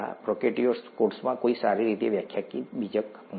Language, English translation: Gujarati, There is no well defined nucleus in a prokaryotic cell